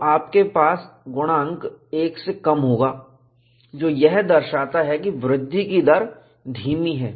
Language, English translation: Hindi, So, you will have a factor less than 1, which indicates that, the growth rate is retarded